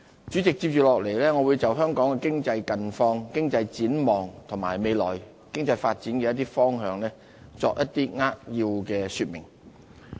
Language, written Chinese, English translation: Cantonese, 接着下來，我會就香港的經濟近況、經濟展望和未來經濟發展的一些方向作一些扼要的說明。, In the following speech I will briefly talk about Hong Kongs economic situation economic outlook and some of the directions for our future economic development